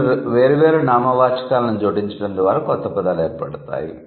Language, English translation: Telugu, So, the words can be formed by adding two different nouns